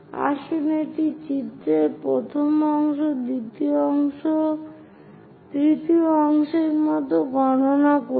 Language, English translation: Bengali, Let us count like first part, second, third parts on this figure